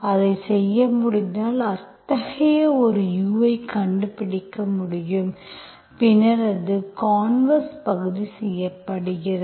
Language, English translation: Tamil, If we can do that, we can find such a U, it is called, then it is, that means the converse part is done